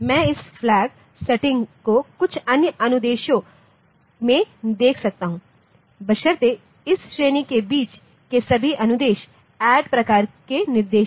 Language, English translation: Hindi, So, I can check this flag setting in some other instruction provided the intermediate instructions they are all of this category they are of type add type of instruction